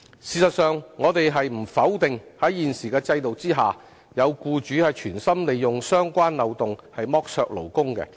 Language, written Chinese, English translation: Cantonese, 事實上，我們不否定在現時的制度下，有僱主存心利用相關漏洞剝削勞工。, In fact we do not deny the fact that under the existing system such loopholes have been deliberately used for exploitation of workers by some employers